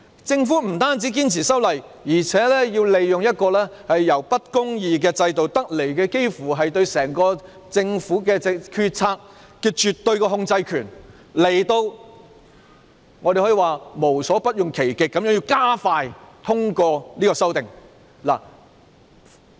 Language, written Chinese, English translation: Cantonese, 政府不單堅持修例，還要利用一個由不公義制度得來，對整個政府決策的絕對控制權，可以說是無所不用其極地加快通過修訂。, Not only was the Government insistent on the legislative amendment it even attempted to expedite by hook or by crook the passage of the amendment using the control power obtained through an unjust system to exert absolute control on the entire policymaking of the Government